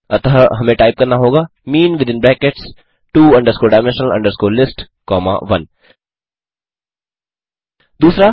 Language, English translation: Hindi, So we have to type mean within brackets two dimensional list comma 1 2